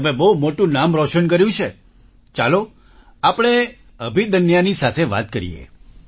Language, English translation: Gujarati, You have made a big name, let us talk to Abhidanya